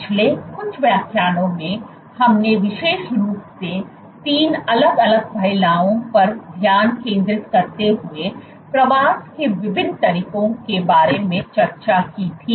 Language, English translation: Hindi, In the last few lectures we had discussed about different modes of migration specifically focusing on 3 different aspects